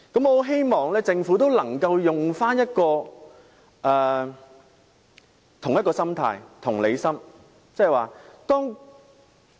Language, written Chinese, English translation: Cantonese, 我很希望政府也能有這種心態，表現出同理心。, I very much hope that the Government will also have this kind of mentality showing its empathy